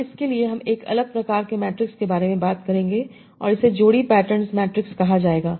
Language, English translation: Hindi, Now for that we need to talk about a difference order matrix and this will be called pair pattern matrix